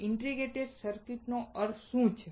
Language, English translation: Gujarati, What is the use of integrated circuit